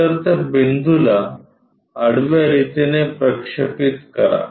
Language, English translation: Marathi, So, project this horizontally on to that point